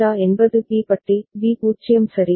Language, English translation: Tamil, JA is B bar, B is 0 all right